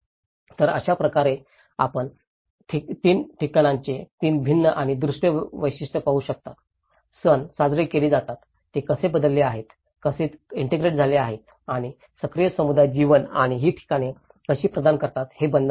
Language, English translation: Marathi, So, that is how you can see the 3 different and visual character of places, how the festivals are celebrated, how it have changed, how they have integrated and the active community life and the bonding how these places are providing